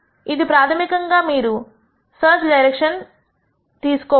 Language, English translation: Telugu, So, that basically gives you the search direction